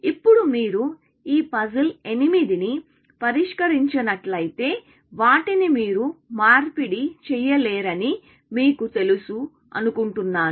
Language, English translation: Telugu, Now, if you have solved this 8 puzzle kind of thing, you know that you cannot exchange them, essentially